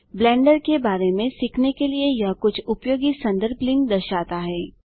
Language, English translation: Hindi, It shows some useful reference links for learning about Blender